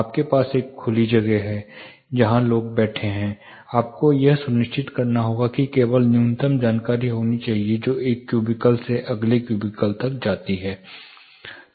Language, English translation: Hindi, You have an open space were people are sitting, and you have to ensure that there should be only minimum amount of information which passes from at least one cubical to the next cubical